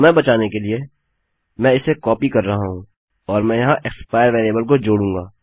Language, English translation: Hindi, To save time, I am copying this and I will add my expire variable here